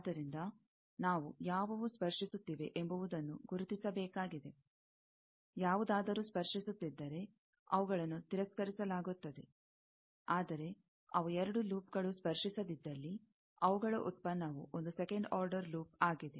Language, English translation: Kannada, So, we will have to identify, who are touching; if they are touching, they are rejected; but, if they are non – touching, two loops then their product is one second order loop